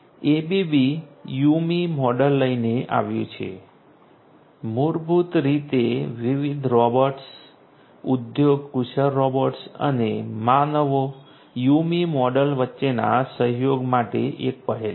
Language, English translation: Gujarati, ABB came up with the YuMi model which is basically an initiative for collaboration between different robots industry skilled robots and the humans YuMi model